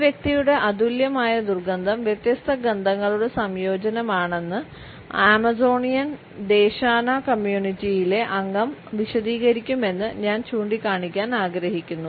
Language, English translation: Malayalam, I would like to point out particular finding which suggests that the average member of the Amazonian Desana community will readily explain that an individual's unique odor is a combination of different smells